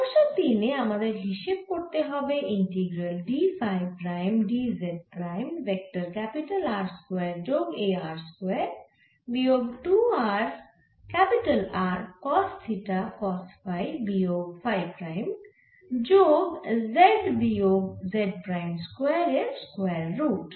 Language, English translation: Bengali, so in problem three we have to calculate the integral d phi prime, d z prime over vector i square plus this small i square minus two small r capital r cost, theta cost phi minus phi prime plus z minus j prime, this pi r j minus z prime